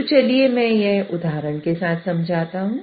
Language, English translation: Hindi, So, let me explain that with an example